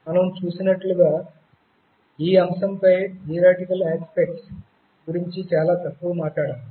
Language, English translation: Telugu, As we have seen we have talked very little about theoretical aspects on the subject